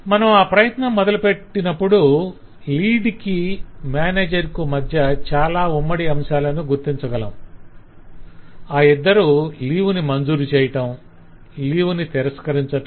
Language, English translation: Telugu, and when we start doing that we do find a lot of commonality between the lead and the manager both of them can for that matter approve leave, both of them can regret leave and so on